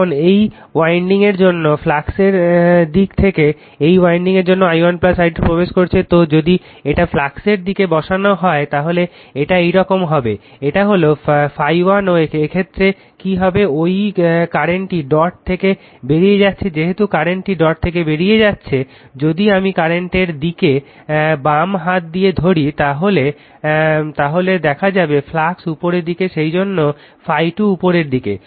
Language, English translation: Bengali, Now, in the direction of the flux for this winding for this winding i 1 plus i 2 entering, so it direction of the flux that if you put there it is it is actually going like this, this is phi 1 and in this case now in this case what is happening, that current is leaving the dot right as the current is leaving the dot that in the direction of the current if I wrap it the way on the left hand side, right hand side, if I wrap or grabs the coil like this the direction of flux is upward that is why phi 2 is upward